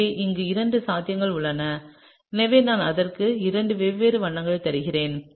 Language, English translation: Tamil, So, there are two possibilities over here so, I am giving it two different colours